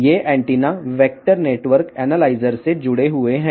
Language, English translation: Telugu, These antennas are connected to vector network analyzer